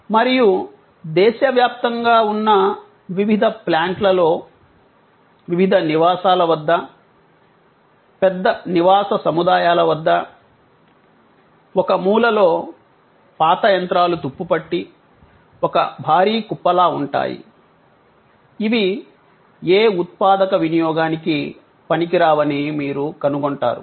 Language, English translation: Telugu, And at various plants across the country, at various residential, large residential complexes, you will find that at one corner there is this huge heap of old machines rusting away, not coming to any productive use